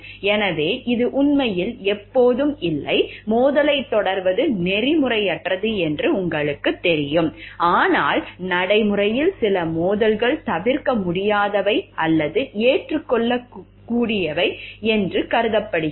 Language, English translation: Tamil, So, it is actually not always, you know like unethical to pursue conflict of interest conflicts, but in practice like some conflicts are thought to be unavoidable or even it is acceptable